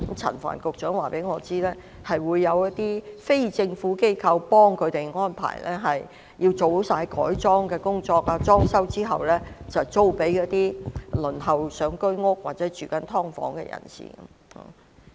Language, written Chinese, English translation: Cantonese, 陳帆局長告訴我，有些非政府機構會協助安排，做好改裝及裝修後，便會租給正輪候公屋或居於"劏房"的人士。, Secretary Frank CHAN told me that some non - governmental organizations NGOs will assist in making the arrangements . After the completion of conversion and renovation they will be leased to people waiting for PRH or living in subdivided units